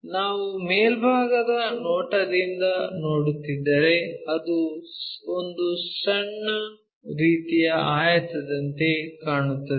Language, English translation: Kannada, If we are looking from top view it looks like a smaller kind of rectangle